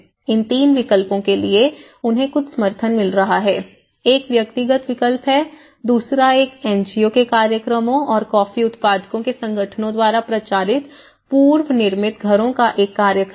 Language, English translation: Hindi, For these 3 options, they have been getting some support, one is the individual option, the second one is houses from other NGOs programs and a program of prefabricated houses promoted by the coffee grower’s organizations